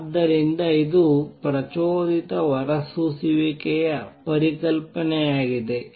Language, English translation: Kannada, So, this is the concept of stimulated emission